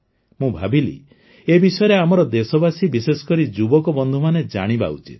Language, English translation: Odia, I felt that our countrymen and especially our young friends must know about this